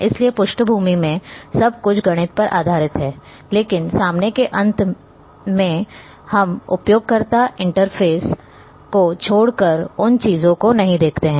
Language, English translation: Hindi, So, everything in the background is a based on mathematics, but on front end we don’t see those things except the user interface